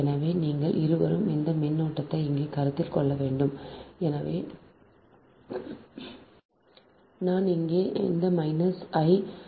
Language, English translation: Tamil, so both you have to consider this current, here it is, i, here it is minus, i right